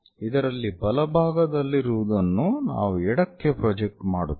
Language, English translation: Kannada, So, right side thing we are projecting on to the left side